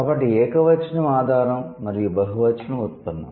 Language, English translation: Telugu, So, singular is the base and plural is the derivation